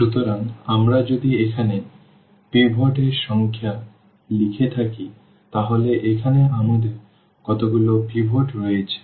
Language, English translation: Bengali, So, if we have like written here the number of pivots, so, here how many pivots we have